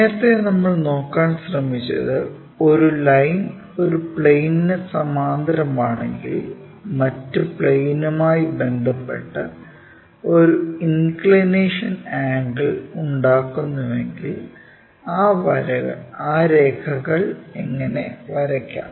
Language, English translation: Malayalam, In this earlier we try to look at, if a line is parallel to one of the plane perhaps making an inclination angle with respect to the other plane, how to draw those lines